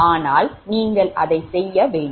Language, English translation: Tamil, from that you can do it